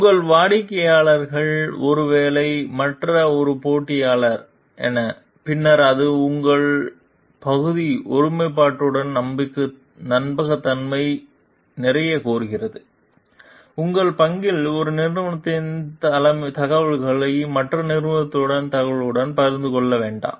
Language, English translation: Tamil, And as your clients maybe one competitor with the other, then it demands a lot of trustworthiness on your path integrity, on your part not to share ones information with the information of one company with the information with the other company